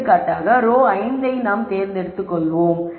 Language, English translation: Tamil, Let us pick for example, row 5